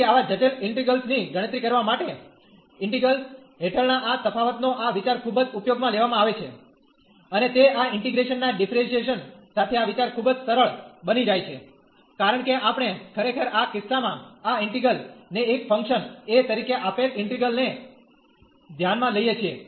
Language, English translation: Gujarati, So, this idea of this differentiation under integral is very often used to compute such complicated integrals, and they become very simple with the idea of this differentiation under integration sign, because we consider actually in this case this integral the given integral as a function of a, because the a is there as the tan inverse